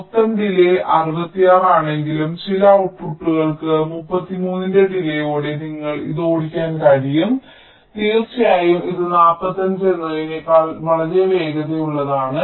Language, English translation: Malayalam, so although the total delay is sixty six, but some of the outputs you can drive with the delay of thirty three, ok, as if this is of course much faster than this forty five